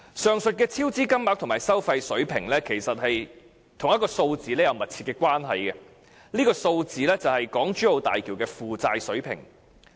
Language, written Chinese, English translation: Cantonese, 上述超支金額及收費水平，其實與一個數字有密切關係，這個數字便是港珠澳大橋的負債水平。, The aforesaid overrun amount and toll levels are in fact closely related to a certain figure . This figure is the amount of debts incurred by HZMB